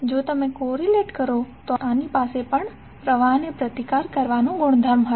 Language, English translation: Gujarati, If you correlate this will also have the property to resist the flow